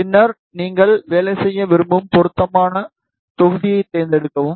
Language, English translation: Tamil, And then, select the appropriate module where you want to work